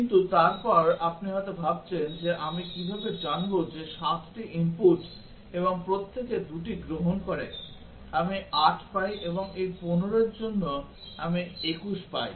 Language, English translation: Bengali, But then you might be wondering that how do I know that for 7 input and each one taking 2, I get 8 and for these 15, I get 21